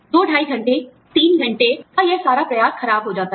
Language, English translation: Hindi, All this effort, of two, two and a half hours, three hours, gone waste